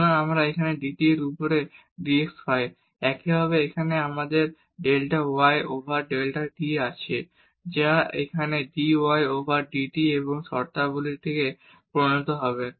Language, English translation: Bengali, So, we get here dx over dt; similarly here again we have delta y over delta t which will become here dy over dt and these terms